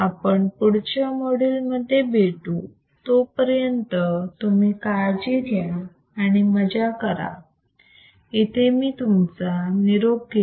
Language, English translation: Marathi, So, I will see you in the next module and till then you take care,; have fun, bye